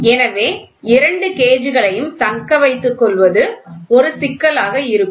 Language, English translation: Tamil, So, retaining both gauges will be a problem